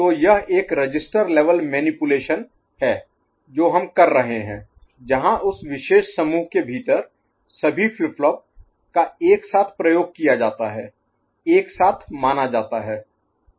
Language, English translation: Hindi, So, it will be a register level manipulation that we are doing where all the flip flops within that particular group are addressed simultaneously, are considered simultaneously ok